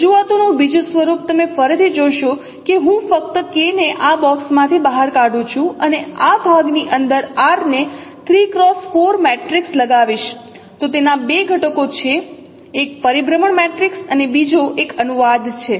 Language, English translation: Gujarati, The other form of representations once again you see that if I only take K out of this box and put R inside the this kind of this part 3 cross 4 matrix then it has two components